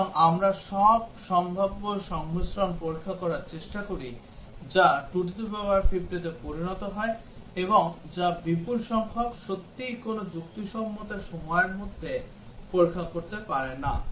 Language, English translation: Bengali, So, we try to test all possible combinations of conditions becomes 2 to the power 50, and which is huge number, cannot really test in any reasonable period of time